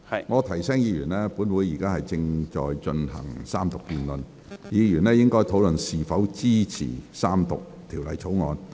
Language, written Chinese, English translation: Cantonese, 我提醒議員，本會現正進行三讀辯論，議員應陳述是否支持三讀《條例草案》。, I remind Members that this Council is now having the Third Reading debate and Members should state whether or not they support the Third Reading of the Bill